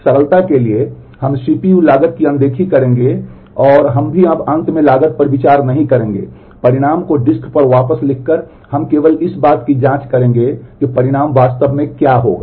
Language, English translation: Hindi, For simplicity we will ignore the CPU cost and we will also for now not consider the cost of finally, writing the result back to the disk we will simply check as to what will it take to actually compute the result